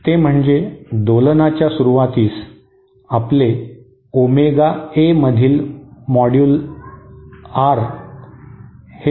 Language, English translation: Marathi, That is that at the start of oscillation, our modular of R in Omega A